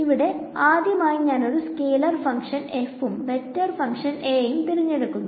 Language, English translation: Malayalam, So, now the first step to do is I am going to take a scalar function f of and a vector function A ok